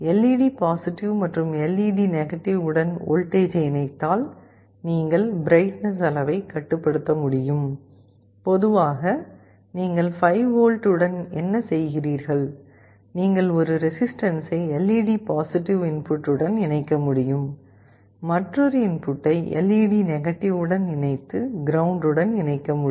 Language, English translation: Tamil, You can connect a voltage across LED+ and LED to make the display bright, typically what you do with 5V, you can connect a resistance, you can connect it to the LED+ input and the other input you are connecting to LED , this you can ground, this is how you can connect